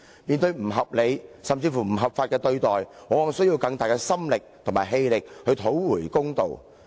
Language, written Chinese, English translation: Cantonese, 面對不合理，甚至不合法的解僱，僱員往往需要更大的心力和氣力去討回公道。, Confronted with an unreasonable and even unlawful dismissal the employee has to make more effort both mentally and physically in fighting for justice